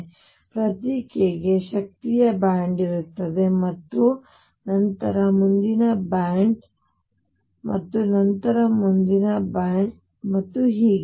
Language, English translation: Kannada, So, for each k there is a band of energies and then the next band and then next band and so on